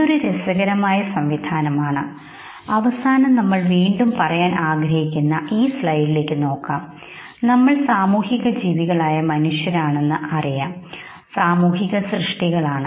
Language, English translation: Malayalam, This is an interesting mechanism, towards the end we will again look at this very slide trying to say and understand, that we are social human beings know, we are social creatures